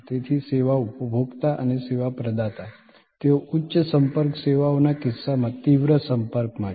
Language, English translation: Gujarati, So, the service consumer and the service provider, they are in intense contact in case of high contact services